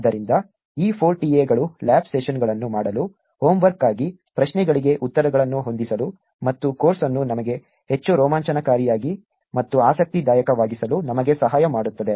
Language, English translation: Kannada, So, these 4 TA’s will help us in doing lab sessions, setting up questions answers for the homework and helping us in general making the course more exciting and interesting for us